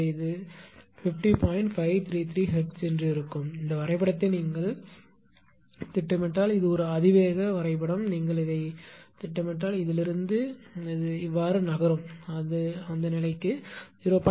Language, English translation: Tamil, 533 hertz right this is and if you plot this graph this is an exponential exponential graph; if you plot this it will move like this from this one it will go to your what you call to a steady state values at 0